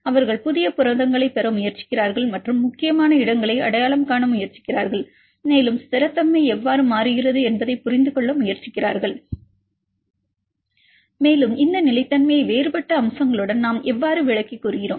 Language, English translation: Tamil, They try to get the new proteins and identify the important locations and they trying to understand how the stability changes, and how we attribute this stability with the different other features